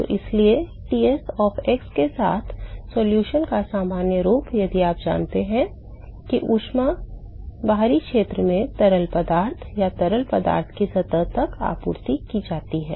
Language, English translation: Hindi, So, therefore, the general form of the solution with Ts of x if you assume that is heat that is been supplied from the external region to the fluid, or from fluid to the surface